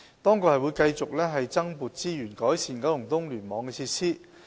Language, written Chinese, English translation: Cantonese, 政府亦會繼續增撥資源改善九龍東聯網的設施。, The Government will also continue to provide additional resources to improve facilities for KEC